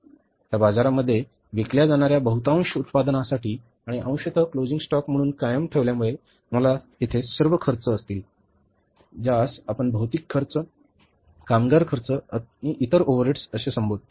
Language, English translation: Marathi, Now, in this side, for having this much of the production which will be sold in the market and partly retained as a closing stock, you will have all the expenses here, which you call it as two material expenses, two labour expenses to other overhead expenses